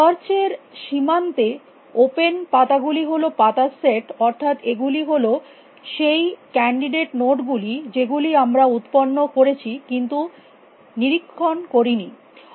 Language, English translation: Bengali, The open leaves are set of leaves is search frontier that is the set of candidate nodes that you have generated but you have not inspected